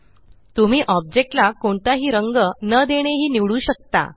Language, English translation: Marathi, You can also choose not to fill the object with colors